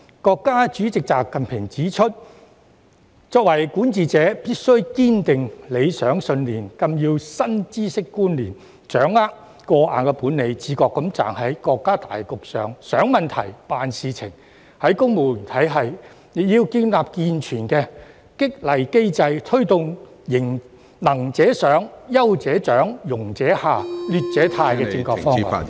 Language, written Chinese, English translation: Cantonese, 國家主席習近平指出，作為管治者，必須堅定理想信念、更新知識觀念、掌握過硬本領；自覺站在國家大局上想問題、辦事情；在公務員體系方面，亦要建立健全的激勵機制，推動"能者上、優者獎、庸者下、劣者汰"......, As President XI Jinping has highlighted being rulers they must strengthen their aspirations and beliefs update their knowledge and concepts and master strong skills . They must consciously consider problems and handle issues from the general perspective of the nation